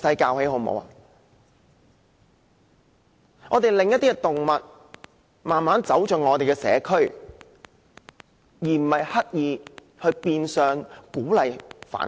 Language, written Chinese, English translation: Cantonese, 我們應令一些動物慢慢走入我們的社區，而不是刻意變相鼓勵繁殖。, We should gradually assimilate certain animals into our community rather than intentionally and effectively encourage the breeding of them